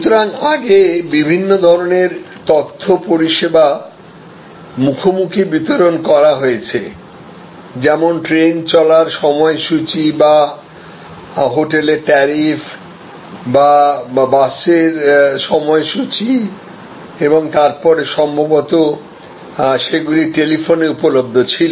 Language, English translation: Bengali, So, different kinds of information services earlier have been delivered face to face, like the train running time or query about a hotel tariff or enquiry about bus schedule and so on and then maybe they were available over telephone